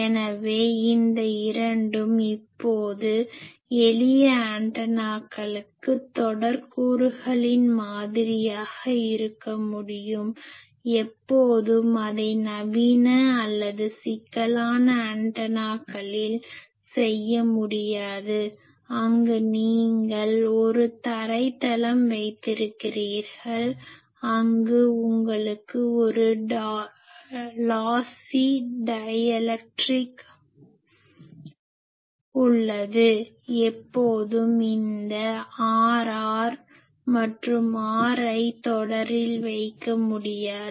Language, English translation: Tamil, So, though this two now, for simple antennas they can be modelled as series elements, always it cannot be done in modern or complex antennas, where you have a ground plane, where you have a lossy dielectric always this R r and R l cannot be put in series